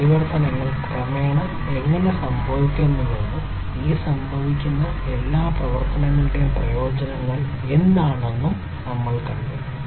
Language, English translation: Malayalam, And we have also seen how that these transformations are happening gradually and what is the benefit of all these transformations that are happening